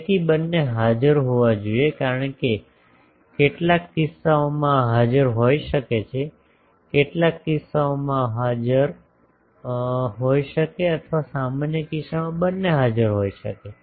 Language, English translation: Gujarati, So, both should be present because in some cases this may be present in some cases, this may be present or in a generalized case both can be present